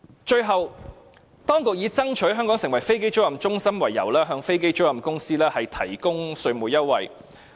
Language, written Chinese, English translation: Cantonese, 最後，當局以爭取香港成為飛機租賃中心為由，向飛機租賃公司提供稅務優惠。, Finally the authorities provide tax concession to aircraft leasing companies on the grounds of developing Hong Kong into an aircraft leasing hub